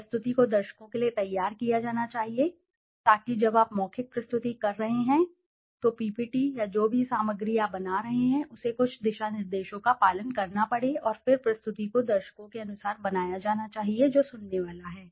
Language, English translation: Hindi, The presentation must be geared to the audience so when you are making oral presentation so the ppt or whatever material you are making it has to follow certain guidelines and then the presentation must be made according to the audience who is going to listen to that